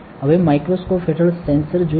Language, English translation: Gujarati, Now, let us look at the sensor under the microscope